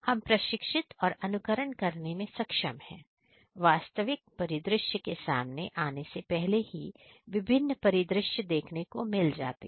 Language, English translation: Hindi, One is able to emulate and get trained in different; different scenarios in even before the actual scenario is encountered